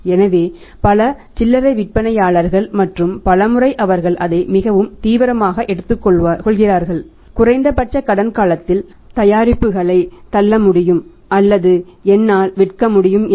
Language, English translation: Tamil, So, many retailers and many a times they take it very seriously that if I am able to sell the product push product in the market at the reduced credit period